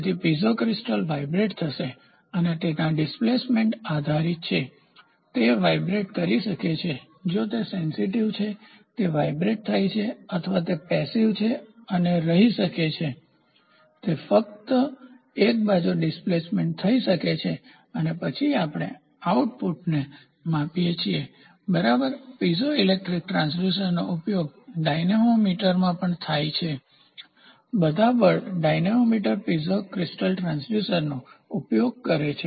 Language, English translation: Gujarati, So, Piezo crystal will be moved to vibrate or based upon the displacement it, it can vibrate if it is sensitive, it will vibrate or it can just go passively and stay it can go just one side displacement and say and then we measure the output and this is the base, ok; Piezo electric transducer is also used in dynamometers dynamometer all the force dynamometer uses use the Piezo crystal transducers